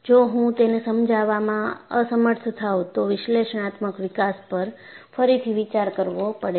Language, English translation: Gujarati, If I am unable to explain it, then analytical development has to be relooked